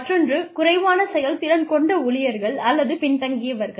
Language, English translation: Tamil, The other is, underperforming employees or laggards